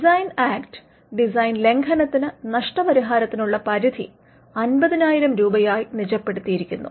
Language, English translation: Malayalam, The designs act sets the limit for compensation per design infringement at 50,000 rupees